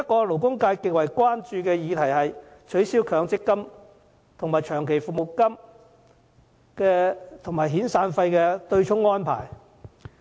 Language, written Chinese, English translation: Cantonese, 勞工界極為關注的另一議題是取消以強制性公積金供款對沖長期服務金及遣散費的安排。, The abolition of the arrangement for long service and severance payments to be offset by the contributions of the Mandatory Provident Fund MPF schemes is another issue that causes grave concern in the labour sector